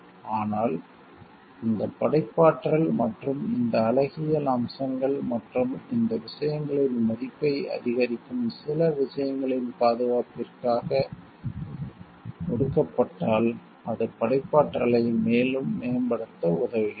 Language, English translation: Tamil, But, when given for this protection of this creativity and these aesthetic aspects and maybe the minor things which increases the worth of these things, then it helps to promote creativity further